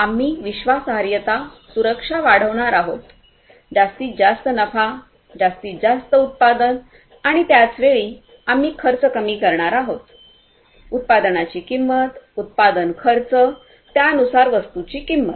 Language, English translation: Marathi, We are going to improve efficiency; we are going to increase the reliability, safety, security; maximize the profit, maximize production and at the same time, we are going to slash the cost; the cost of production, the cost of manufacturing, the cost of the goods in turn